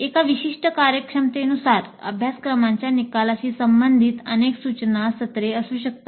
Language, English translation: Marathi, And corresponding to one particular given competency or course outcome, there may be multiple instruction sessions